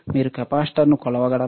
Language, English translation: Telugu, Can you measure the capacitor